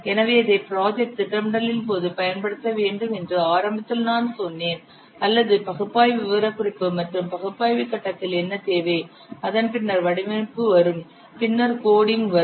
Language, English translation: Tamil, So you see, initially I have told this is during the project planning or this what requirement specification analysis phase, then design will come, then coding will come